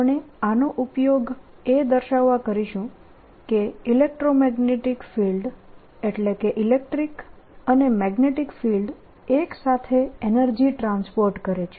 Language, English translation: Gujarati, what we want to use these now for is to show that number one, the electromagnetic field, that means electric and magnetic field together transport energy